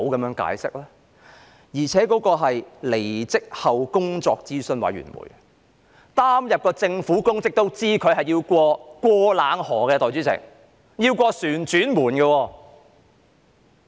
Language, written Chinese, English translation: Cantonese, 我剛才提及的工作諮詢委員會，曾經擔任政府公職的人都知道離職後需要"過冷河"，通過"旋轉門"。, Concerning the advisory committee I mentioned earlier those who have held government positions should know that after they step down from office they will be subject to a sanitization period and have to go through a revolving door